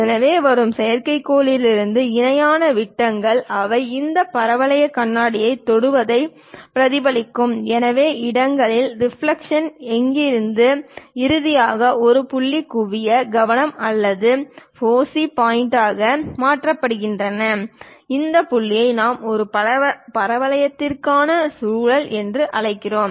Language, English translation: Tamil, So, the parallel beams from satellites coming, they will reflect touch this parabolic mirror, reflux at different locations; from there finally, converged to a point focal, focus or foci point and this point what we call vortex for a parabola